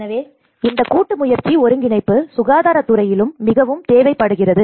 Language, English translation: Tamil, So, this partnership and coordination is very much needed in the health sector as well